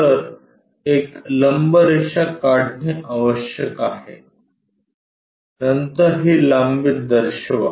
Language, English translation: Marathi, So, one has to construct a normal, then show this length